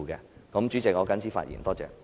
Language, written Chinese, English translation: Cantonese, 代理主席，我謹此陳辭，謝謝。, Deputy Chairman I so submit . Thank you